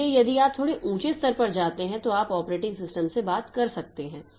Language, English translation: Hindi, So, if you are, if you want to be slightly higher levels, then you can talk to the operating system